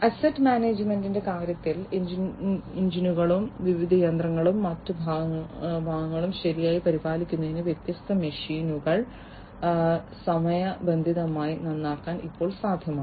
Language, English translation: Malayalam, In terms of asset management, now it is possible to timely repair the different machines to properly maintain the engines and other parts of the different machinery